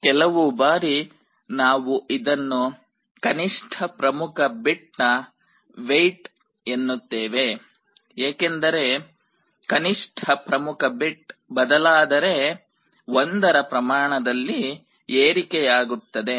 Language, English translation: Kannada, Sometimes we refer to this as the weight of the least significant bit because, when the least significant bit changes that also means an increase of 1